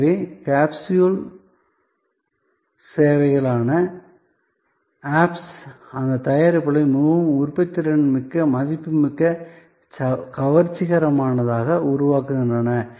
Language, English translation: Tamil, So, the apps, which are capsule services make those products, so much more productive valuable attractive